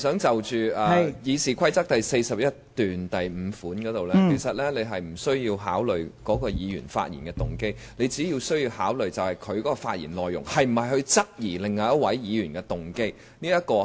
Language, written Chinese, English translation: Cantonese, 就《議事規則》第415條來說，其實你不需要考慮該議員的發言動機，你只需要考慮他發言的內容是否質疑另一位議員的動機。, Regarding Rule 415 of the Rules of Procedure you do not have to take into account the motives of the Member concerned . All you need to consider is whether the contents of his speech have queried the motives of another Member